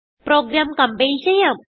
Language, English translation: Malayalam, Let us compile the program